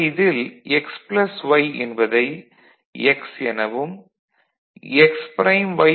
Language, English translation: Tamil, So, x plus y as the whole you can consider as x